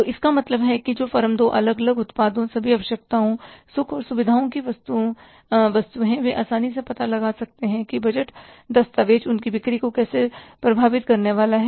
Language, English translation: Hindi, So, it means the firms who are into different products, all necessities, comforts and luxuries, they can easily find out that how the budget document is going to impact their sales